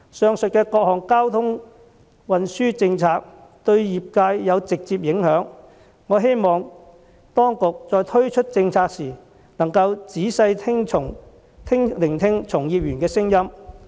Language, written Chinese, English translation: Cantonese, 上述的各項交通運輸政策對業界有直接影響，我希望當局在推出政策時，能夠仔細聆聽從業員的聲音。, The various aforementioned transport policies will have a direct bearing on the sector I hope the authorities can carefully listen to practitioners voices when rolling them out